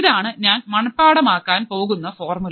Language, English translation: Malayalam, This is the formula that I have to remember